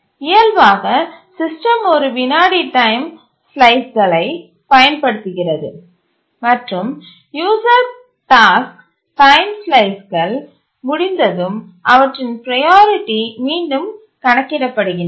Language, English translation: Tamil, And the system by default uses a one second time slice and the tasks after the complete their time slice, the user tasks once they complete their time slice, the priorities are recomputed